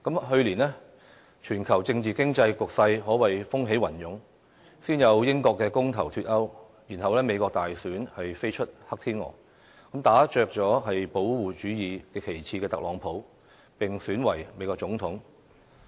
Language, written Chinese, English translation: Cantonese, 去年，全球政治經濟局勢可謂風起雲湧，先有英國公投"脫歐"，然後美國大選飛出"黑天鵝"，打着"保護主義"旗幟的特朗普當選美國總統。, The worlds political and economic landscapes underwent substantial changes last year with the United Kingdoms decision in a referendum to leave the European Union coming first which was followed by a black swan soaring out as the President of the United States of America from the presidential election namely Donald Trump who advocates trade protectionism